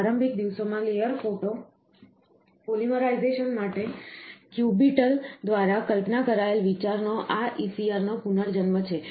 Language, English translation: Gujarati, This ECR rebirth of an idea, conceived by cubital of, for layer photo polymerization in the early days